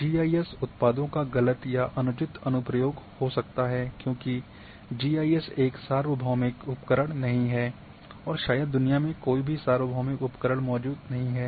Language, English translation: Hindi, Incorrect or inappropriate application of GIS products as GIS is not a universal tool and probably no universal tool exist in the world